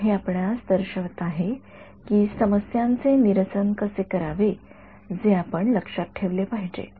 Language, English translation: Marathi, So, this is showing you how to sort of the issues that you have to keep in mind right